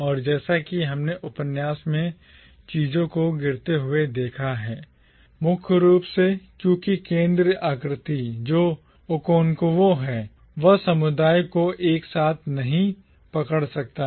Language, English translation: Hindi, And as we have seen things fall apart in the novel, primarily because the central figure, who is Okonkwo, he cannot hold the community together